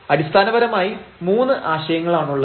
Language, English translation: Malayalam, We have the three concepts